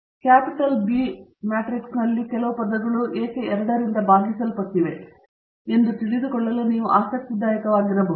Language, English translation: Kannada, It might be interesting for you to find out, why some of these terms in the capital B matrix are divided by 2